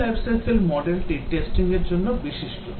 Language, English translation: Bengali, The V life cycle model is special for testing